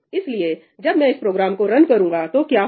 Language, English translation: Hindi, Right, so, what happens when I run this program